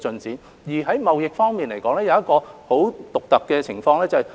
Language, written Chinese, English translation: Cantonese, 至於貿易方面，出現了很獨特的情況。, There is a unique observation in respect of trade